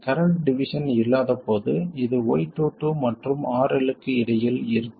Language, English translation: Tamil, When I say no current division, this is between Y22 and RL